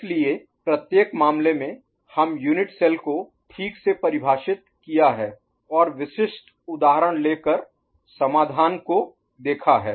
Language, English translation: Hindi, So, each of the cases we have defined the unit cell properly and looked at the solution by taking specific examples